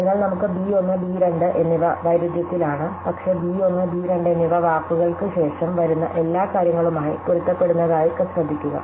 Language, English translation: Malayalam, So, we have b 1 and b 2 which are in conflict, but notice that both b 1 and b 2 are compatible with everything that comes after words